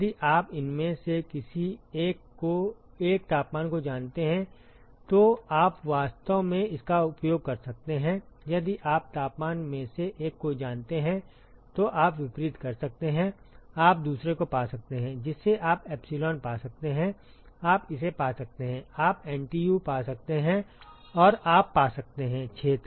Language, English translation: Hindi, If you know one of these temperatures, you can actually use you can do the reverse if you know one of the temperatures, you can find the other one you can find epsilon you can find it you can find the NTU, and you can find the area